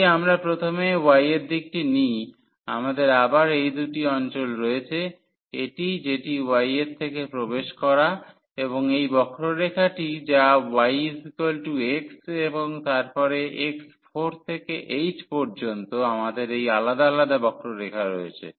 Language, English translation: Bengali, Or, if we set in the direction of a y first; so, we have again these two regions one is this one which is from the entries from y is equal to 0 to this curve which is given by y is equal to x and then from 4 to 8 we have this different curve